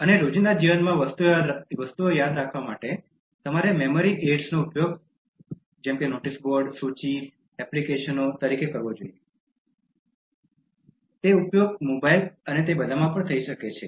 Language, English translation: Gujarati, And for remembering things in day to day life you should make use of memory aids as notice boards, lists, applications, which can be used in mobiles and all that